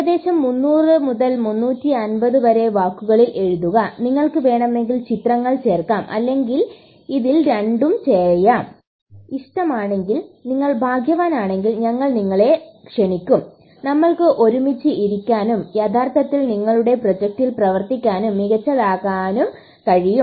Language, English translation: Malayalam, Put it in about 300 to 350 words and may be add a picture or two and if we like it and if you are lucky, we will invite you over and we can sit together and actually work on your project and make it better